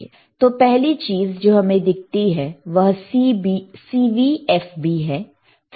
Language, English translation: Hindi, So, if we see first thing is CV, then we have FB,